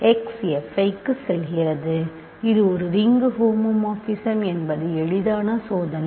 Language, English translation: Tamil, f x goes to f i, this is a ring homomorphism is an is easy check